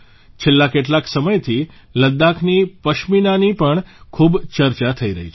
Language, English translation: Gujarati, Ladakhi Pashmina is also being discussed a lot for some time now